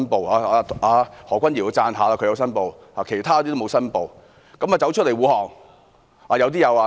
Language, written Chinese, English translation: Cantonese, 我要稱讚何君堯議員，他申報了，其他同事沒有，卻站出來護航。, I need to give credit to Mr Junius HO . He has declared interest . The other Honourable colleagues did not but they came to the defence of the Government